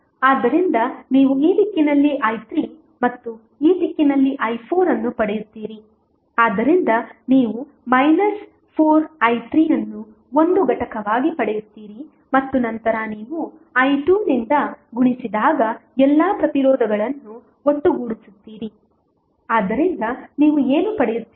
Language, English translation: Kannada, So, you will get minus sorry i 3 in this direction and i 4 in this direction so you will get minus 4i 3 as a component and then you will sum up all the resistances multiplied by i 2, so what you get